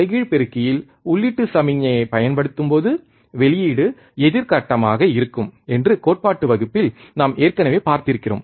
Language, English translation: Tamil, this we have already seen again in the theory class, what we have seen, that when we apply the input signal to the inverting amplifier, the output would be opposite phase